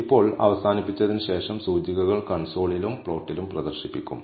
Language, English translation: Malayalam, Now, after terminating the indices are displayed on the console and on the plot